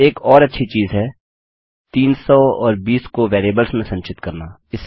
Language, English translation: Hindi, Obviously a good thing to do is to store 300 and 20 in variables Lets set them here